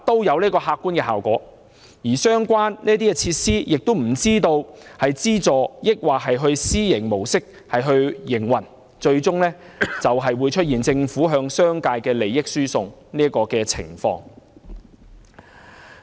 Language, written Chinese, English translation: Cantonese, 而這些設施又不知道是以資助還是私營模式營運，最終會出現政府向商界輸送利益的情況。, We do not know if these facilities will operate on a subvention or private mode but a transfer of interests to the business sector will happen ultimately